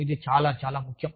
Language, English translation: Telugu, These are very important